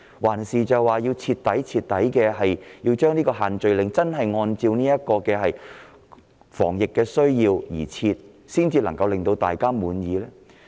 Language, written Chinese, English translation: Cantonese, 還是要徹底讓限聚令按照防疫需要而設，才能令大家感到滿意？, Or should the restrictions be imposed purely for the need to carry out anti - epidemic work in order to satisfy everyone in society?